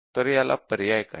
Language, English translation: Marathi, So, what is the alternative